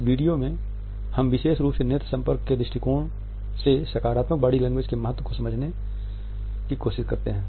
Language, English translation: Hindi, In this video we can look at the significance of positive body language particularly from the perspective of eye contact